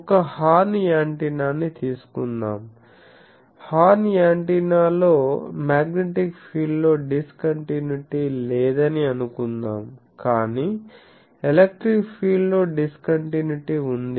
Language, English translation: Telugu, As happens suppose in a horn antenna, suppose in a horn antenna there is no discontinuity in the magnetic field, but there is a discontinuity in the electric field